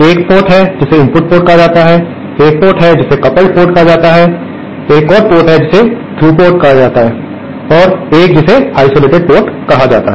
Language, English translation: Hindi, There is one port which is called the input port there is another port which is called the coupled port, there is another which is called the through port and one which is called the isolated port